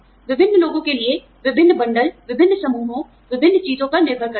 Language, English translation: Hindi, Different bundles for different people, different groups, depending on various things